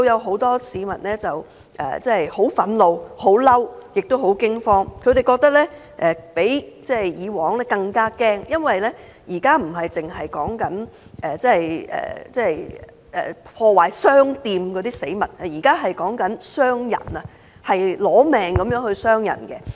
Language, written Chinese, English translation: Cantonese, 很多市民對我表示很憤怒，也很驚慌，他們覺得比以往更害怕，因為現在說的不是破壞商店等死物，而是傷人，奪命般的傷人。, Many people have told me their anger and fear . They are more frightened than before because the problem now is no longer vandalism or destruction of shops but the infliction of bodily harm which is life - threatening